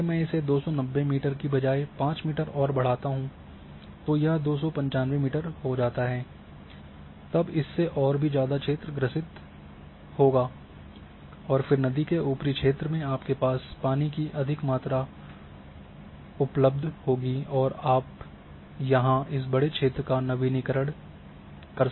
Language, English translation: Hindi, So, instead of these 290 meters if I raise by 5 more meter that it becomes 295 then more in area is emendated and a then you are having a higher higher volume of water which is available in the upper stream area and of course, larger area will get in updated